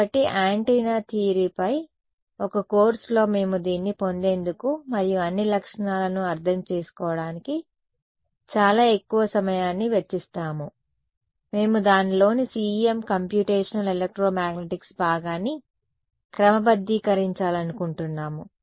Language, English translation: Telugu, So, in a course on the antenna theory we would spend a lot more time deriving this and understanding all the features, we want to sort of get to the CEM Computational ElectroMagnetics part of it